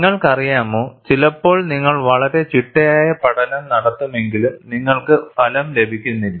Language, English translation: Malayalam, You know, sometimes you do a very systematic study, yet you do not get a result